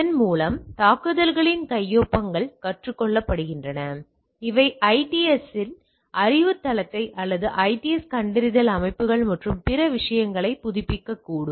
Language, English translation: Tamil, By that it the signatures of the attacks are learned which may update the knowledge base of the IDS or something IDS detection systems and other things